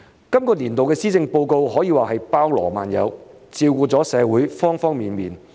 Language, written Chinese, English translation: Cantonese, 這年度的施政報告可說包羅萬有，照顧了社會方方面面。, Arguably all - encompassing this years Policy Address has given careful thought to all aspects of society